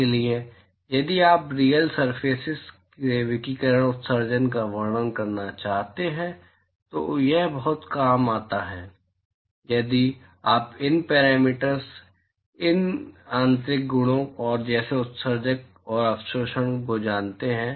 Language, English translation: Hindi, So, if you want to describe the radiation emission from real surfaces it comes very handy if you know these parameters, these intrinsic properties such as emissivity and absorptivity